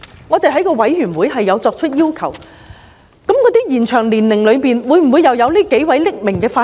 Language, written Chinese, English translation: Cantonese, 我們在法案委員會亦有提出，延展退休年齡的名單中會否包括這幾位匿名法官？, In the Bills Committee we have raised the question of whether these anonymous Judges are included in the list of Judges whose retirement age is to be extended